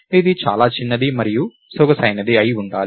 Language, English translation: Telugu, It has to be the smallest and elegant ah